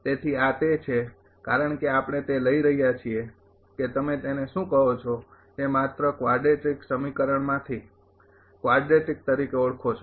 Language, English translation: Gujarati, So, this what because this is we are taking that your what you call that quadric from that quadratic equation only